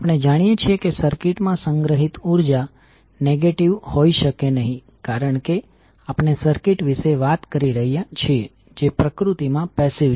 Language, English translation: Gujarati, The as we know the energy stored in the circuit cannot be negative because we are talking about the circuit which is passive in nature